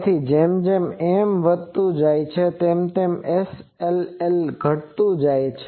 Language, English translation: Gujarati, So, as N increases, this SLL decreases